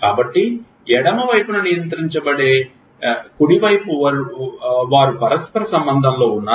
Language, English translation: Telugu, So, is it the right side controlling the left side is they in a reciprocal relationship